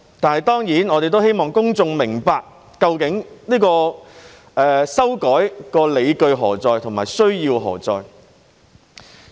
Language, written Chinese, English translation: Cantonese, 但是，當然，我們希望公眾明白究竟修改的理據和需要何在。, But of course we want the public to understand the rationale and the need for the amendments